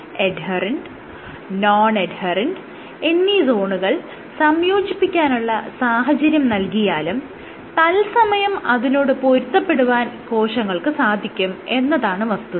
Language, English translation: Malayalam, So, even if you provide the circumstance of adherent and non adherent zones mix together the cells can adapt that to it in real time